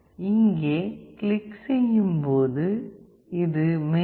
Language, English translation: Tamil, When you click here you see this is the main